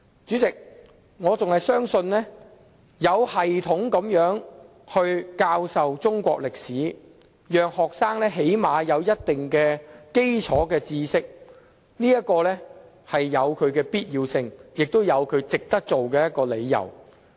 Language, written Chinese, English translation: Cantonese, 主席，我仍然相信有系統地教授中國歷史，讓學生最少有一定的基礎知識，有其必要性，也有值得推行的理由。, President I still believe that it is necessary and justified to through teaching Chinese history in a systematic way enable students to at least acquire certain fundamental knowledge